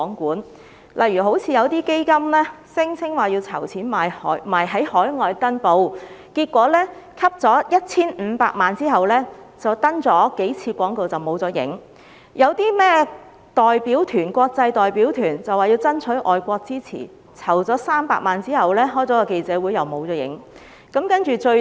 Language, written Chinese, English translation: Cantonese, 舉例來說，有些基金聲稱要籌款在海外登報，結果在籌得 1,500 萬元後，只刊登了數次廣告便失去蹤影；有些所謂的國際代表團聲稱要爭取海外支持，但籌得300萬元後卻只召開了記者會，其後同樣無影無蹤。, For instance a fund claiming to raise money for an international advertisement campaign has disappeared after publishing a few advertisements with the 15 million of donation; a so - called international delegation claiming to seek overseas support has also vanished after holding a press conference with the 3 million of donation